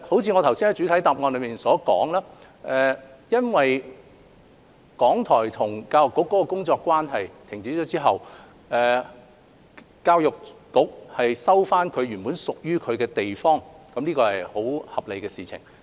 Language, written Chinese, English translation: Cantonese, 正如我在主體答覆所說，港台與教育局的工作關係停止後，教育局收回原本屬於自己的地方是很合理的事情。, As I said in the main reply when the working relationship between RTHK and the Education Bureau has ceased it is reasonable for the Education Bureau to resume a place that belongs to it